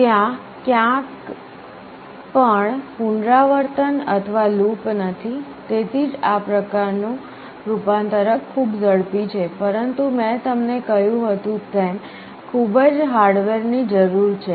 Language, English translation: Gujarati, There is no iteration or loop anywhere, that is why this kind of converter is very fast, but as I told you it requires enormous amount of hardware